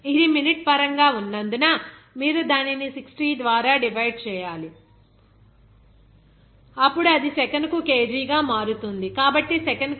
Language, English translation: Telugu, Since it is in terms of minute, then you have to divide it by 60, then it will become kg per second, so 1